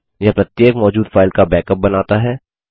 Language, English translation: Hindi, This makes a backup of each exiting destination file